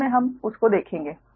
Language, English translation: Hindi, later we will see that